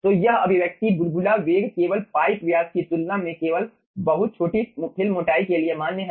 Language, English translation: Hindi, okay, so this expression bubble velocity is valid only for very small film thickness compared to the pipe diameter